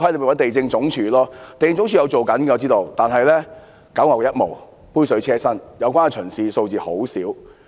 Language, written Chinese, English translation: Cantonese, 我知道地政總署也有做工夫，但只是九牛一毛、杯水車薪，有關巡視的數字甚少。, I know LandsD has done some work but it is just a drop in the bucket far short of what is needed . The number of relevant inspections is minimal